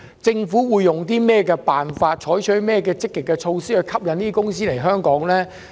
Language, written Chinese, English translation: Cantonese, 政府會用甚麼辦法及採取哪些積極措施，吸引這些公司和機構來港？, What approaches and positive measures will the Government adopt to attract these companies and organizations to Hong Kong?